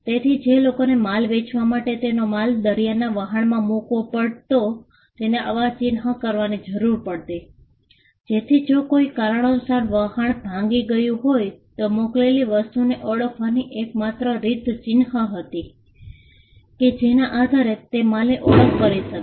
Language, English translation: Gujarati, People who were selling goods which had to be shipped across the seas had a way to mark their goods so that if the ship got wrecked there was a way in which, the person who shipped the items could identify the goods based on the mark